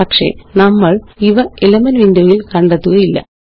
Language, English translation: Malayalam, But we wont find these characters in the Elements window